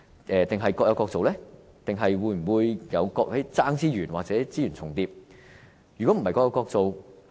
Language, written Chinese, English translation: Cantonese, 是否各有各做，還是會出現競爭資源或資源重疊的情況呢？, Will they be only minding their own business or will there be competitions for resources or overlapping of resources?